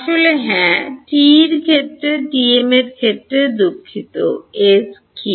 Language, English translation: Bengali, Actually yeah in the in that TE case sorry in the TM case, E z is what